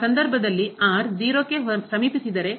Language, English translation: Kannada, In that case if approaches to 0